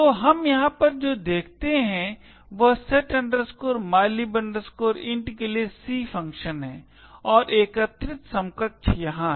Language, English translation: Hindi, So, what we see over here is the C function for setmylib int and the assembly equivalent is here